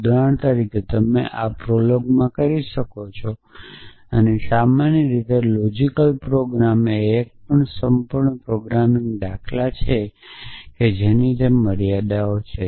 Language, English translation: Gujarati, For example, you can do in prolog essentially and logic programming in general is also a complete programming paradigm essentially it had it is limitations